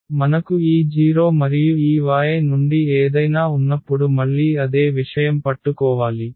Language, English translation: Telugu, So, again the same thing should hold when we have this 0 and something from this Y